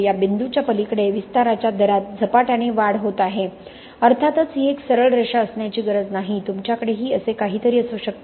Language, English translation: Marathi, Beyond this point there is a rapid rise in the rate of expansion of course this need not be perfectly a straight line you could have something like this also, okay